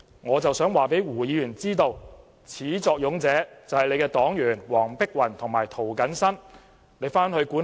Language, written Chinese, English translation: Cantonese, 我想告訴胡議員，始作俑者是他的黨員黃碧雲議員和涂謹申議員。, I would like to tell Mr WU his party members Dr Helena WONG and Mr James TO were the ones to start the trouble